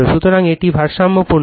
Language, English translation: Bengali, So, this is balanced